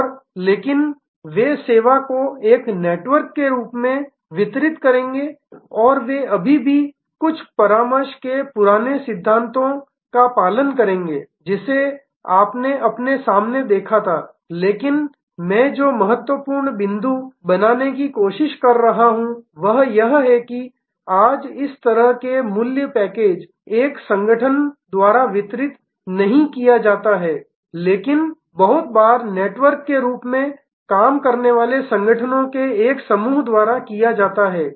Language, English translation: Hindi, And but, they will deliver the service as a network and they will follow still the old principles of good consulting, which you saw in see in front of you, but the key point I am trying to make is that today such packages of values are not delivered by one organization, but very often by a group of organizations working as a network